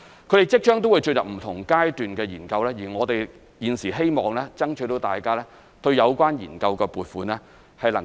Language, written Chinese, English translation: Cantonese, 它們即將會進入不同階段的研究，我們現時希望爭取大家支持對有關研究的撥款。, Various studies will commence soon and we hope Members will support the funding applications for these studies